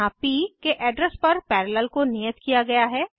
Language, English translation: Hindi, Here, Parallel is assigned to the address of p